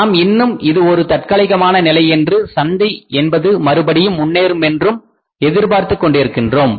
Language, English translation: Tamil, We are expecting that still it is a temporary phenomenon and the market will again improve